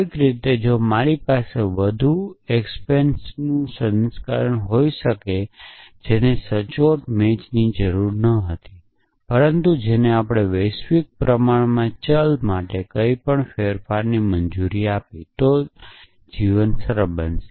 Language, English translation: Gujarati, Somehow if I could have a version of more exponents, which did not require an exact match, but which allowed us to substitute anything for a universally quantified variable, then life would become simpler